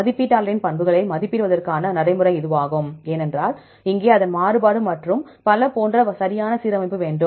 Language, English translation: Tamil, This is the practice of estimating the properties of the estimator, because here we want to have the proper alignment, such as its variance and so on